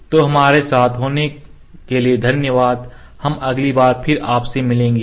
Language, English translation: Hindi, So, thank you for being with us, we will meet you again next time